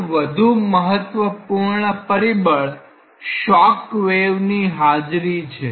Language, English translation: Gujarati, One of the other important factors is presence of shock waves